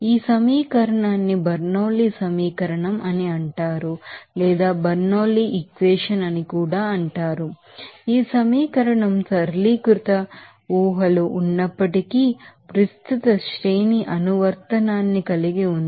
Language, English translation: Telugu, So, this equation is called Bernoulli’s equation, and the equation has a wide range of application despite its simplified assumptions